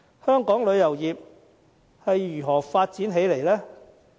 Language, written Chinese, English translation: Cantonese, 香港旅遊業是如何發展起來呢？, How did the tourism industry develop into the present state?